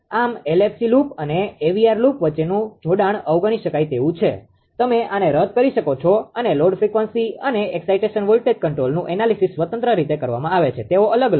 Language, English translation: Gujarati, There is the coupling between the LFC loop and the AVR loop is negligible better, you avoid this and the load frequency and excitation voltage control are analyzed independently they are separate right they are separate